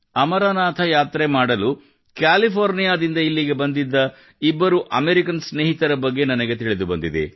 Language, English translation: Kannada, I have come to know about two such American friends who had come here from California to perform the Amarnath Yatra